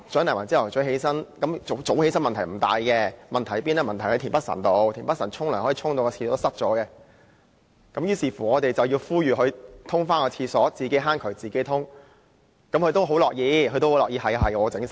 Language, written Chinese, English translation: Cantonese, 其實早起不是大問題，較大的問題是田北辰議員洗澡竟然弄致廁所淤塞，於是我們便呼籲他處理，所謂"自己坑渠自己通"，不過他也很樂意負責。, It is indeed not a problem; a bigger problem is that Mr Michael TIEN somehow managed to cause the pipe clogged after taking a shower so we asked him to deal with it as he had to clean up after himself but he was happy to bear the responsibility